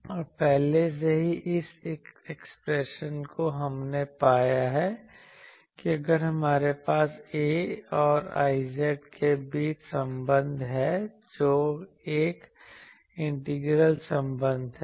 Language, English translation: Hindi, And already previously this expression we have found that, if we have that in terms of what is the relation between A and I z that is an integral relation in the previous we founded it